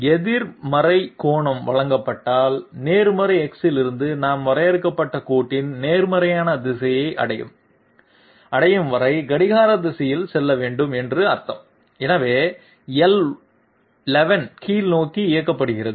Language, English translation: Tamil, If negative angle is given, it means from positive X we have to move clockwise okay till we reach the positive direction of the defined line, so L11 is directed downwards